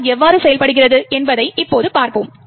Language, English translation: Tamil, We will now see how ASLR works